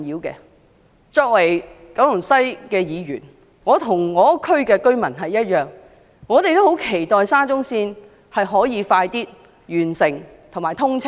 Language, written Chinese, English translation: Cantonese, 作為九龍西的議員，我與當區居民同樣十分期望沙中線可以早日完工及通車。, Just like the local residents I as a Member representing Kowloon West am terribly eager to see the early completion and commissioning of SCL